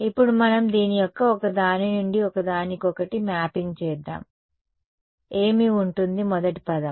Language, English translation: Telugu, Now let us just do a one to one mapping of this, what will be the first term become